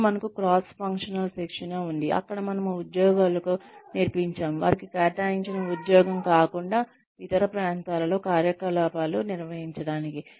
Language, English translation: Telugu, Then, we have cross functional training, where we teach employees, to perform operations in areas, other than their assigned job